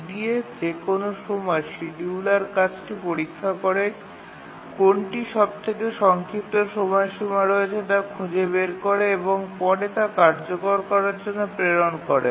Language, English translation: Bengali, In the EDF at any time the scheduler examines the tasks that are ready, finds out which has the shorter deadline, the shortest deadline and then dispatches it for execution